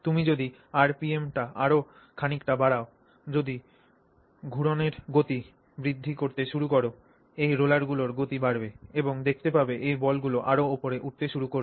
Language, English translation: Bengali, So if you pick up the RPM a little bit more and you start increasing the speed with which of rotation the rate at which these rollers are rotating, then what you will see is you will see these balls beginning to go up further